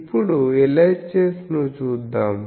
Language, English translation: Telugu, Now, let us look at LHS